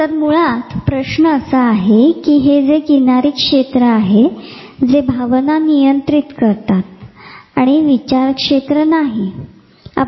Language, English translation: Marathi, So, this whole question whether this limbic area which controls the emotions and the thinking area does not control